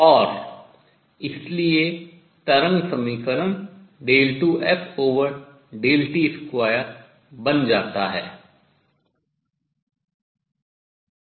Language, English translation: Hindi, And therefore, the wave equation becomes d 2 f by d t